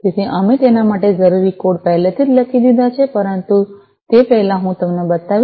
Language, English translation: Gujarati, So, we have already written the code that will be required for it, but before that let me show you